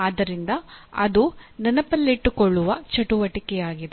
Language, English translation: Kannada, So that is the activity that is involved in remembering